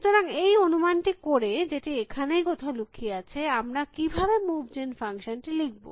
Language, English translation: Bengali, So, having made that assumption, which is hidden into some were here, how do I write a move gen function